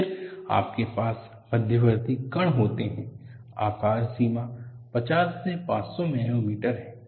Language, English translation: Hindi, Then you have intermediate particles, the size range is 50 to 500 nanometers